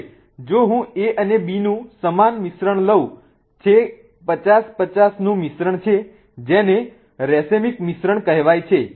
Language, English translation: Gujarati, Now if I take an equal mixture of A and B which is a 50 50 mixture which is called also called as a racemic mixture